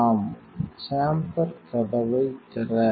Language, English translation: Tamil, Off, open the chamber door